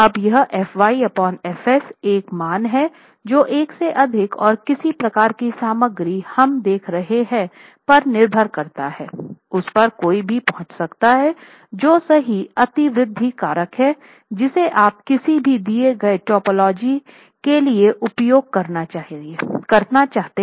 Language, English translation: Hindi, Now this FY by FS is a value that is greater than one and depending on the type of material we are looking at would be able to one would be able to arrive at what is the correct overspring factor that you should be using for a given typology